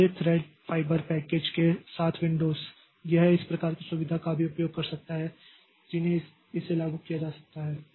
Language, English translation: Hindi, So, Windows with thread fiber package, so this can also be, they also use this type of facility in which this can be implemented